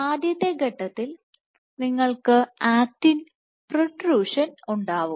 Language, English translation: Malayalam, As a first step what you have is actin protrusion